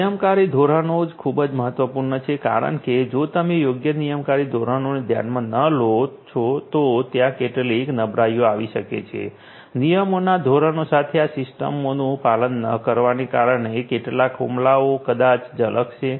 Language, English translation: Gujarati, Regulatory standards are very important because if you do not consider the proper regulatory standards, there might be some vulnerabilities that might come that might some attacks might sneak in because of those you know non compliance of these systems with the regulatory standard